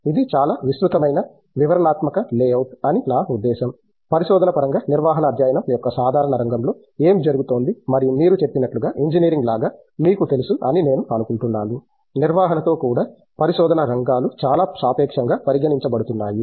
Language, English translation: Telugu, That’s a very I mean elaborate, detailed layout of what are; what is happening in the general field of management studies in terms of research and so on and as you mentioned you know like with the engineering I presume that even with management there are areas of research that are considered relatively recent in terms of, you know with the way the people have given attention to it and so on